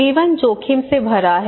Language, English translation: Hindi, Life is full of risk